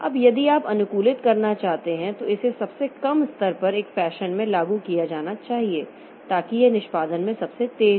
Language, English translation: Hindi, Now, if you want to optimize that the lowest level it should be implemented in a fashion so that it is the fastest execution